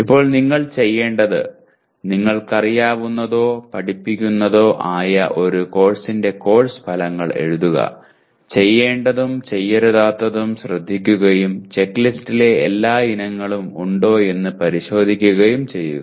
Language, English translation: Malayalam, Now what we want you to do is write course outcomes of a course you are familiar with or taught paying attention to all the do’s and don’ts making sure all the items in checklist are checked out